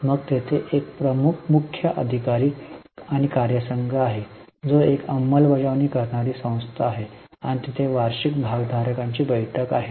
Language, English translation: Marathi, Then there is CEO and team which is an implementing body and there is annual shareholders meeting